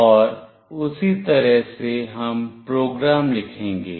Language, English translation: Hindi, And accordingly we will write the program